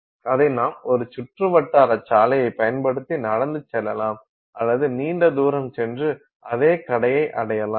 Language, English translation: Tamil, Or you can use a circuitous route, you can walk and take a long distance to reach the same shop and buy